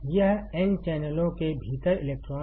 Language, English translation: Hindi, This is electrons within n channels